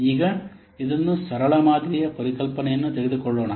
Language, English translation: Kannada, Now, let's take this the concept of simplistic model